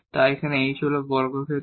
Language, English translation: Bengali, So, this was h here and this was k here